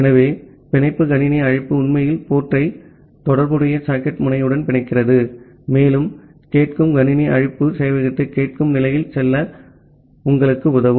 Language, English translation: Tamil, So, the bind system call actually bind the port with the corresponding socket end, and the listen system call will help you just to make the server to go in the listening state